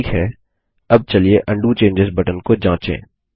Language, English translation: Hindi, Okay, now let us test the Undo changes button